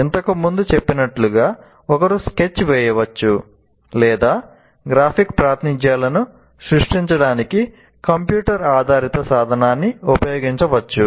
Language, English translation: Telugu, As I said, one can sketch or one can use a computer based tool to create your graphic representations